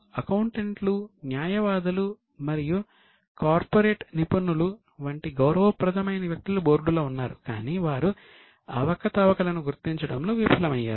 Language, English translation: Telugu, Several respectable people like accountants, lawyers or corporate professionals were on the board, but they failed to detect the malpractices